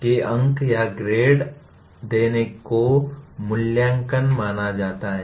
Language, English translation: Hindi, That giving a mark or a grade is considered evaluation